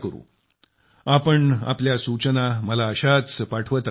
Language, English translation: Marathi, Do continue to keep sending me your suggestions